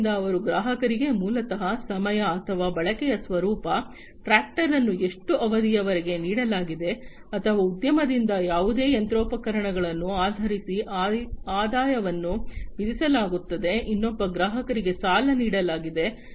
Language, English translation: Kannada, So, their customers are basically charged with the revenues based on the time or the nature of the usage, how much duration the tractor has been lent or any other machinery by the industry, has been lent to another customer